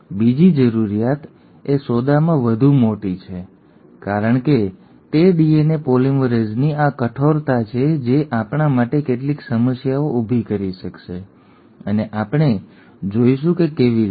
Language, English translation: Gujarati, The second requirement is the more bigger of a deal because it is this stringency of DNA polymerase which will create some problems for us and we will see how